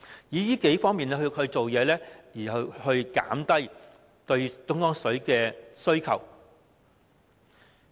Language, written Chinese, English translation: Cantonese, 從這數方面下工夫，以減少對東江水的需求。, We can work on these areas to reduce our reliance on Dongjiang water